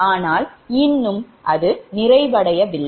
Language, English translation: Tamil, but still it is not completed